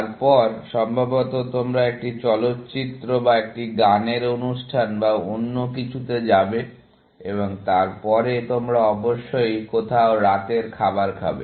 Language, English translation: Bengali, maybe, you will go to a movie or a music show or something, and then, you will have dinner somewhere, essentially